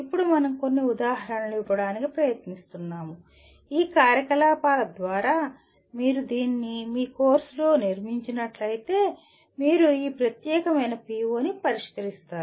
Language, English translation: Telugu, Now we are trying to give some examples where through these activities if you build it into your course, you will be addressing this particular PO